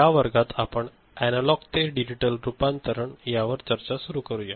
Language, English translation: Marathi, In this class, we start discussing Analog to Digital Conversion